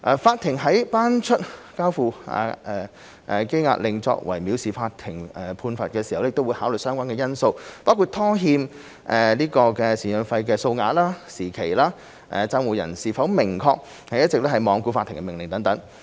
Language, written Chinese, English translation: Cantonese, 法庭在頒出交付羈押令作為藐視法庭的判罰時，會考慮相關因素，包括拖欠贍養費的數額、拖欠時期、判定債務人是否明顯是一直罔顧法庭的命令。, When the Court makes an order of committal as a penalty for contempt of court it will consider relevant factors including the amount and duration of maintenance arrears whether the judgment debtor has continuously been in obvious defiance of the Courts order